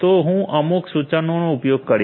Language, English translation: Gujarati, So, I will use some command